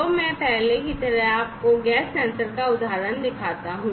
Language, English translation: Hindi, So, like before let me show you the example of a gas sensor